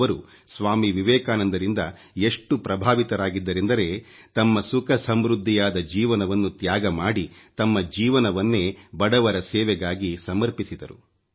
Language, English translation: Kannada, She was so impressed by Swami Vivekanand that she renounced her happy prosperous life and dedicated herself to the service of the poor